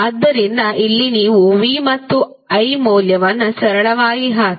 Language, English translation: Kannada, So here you can simply put the value of V and I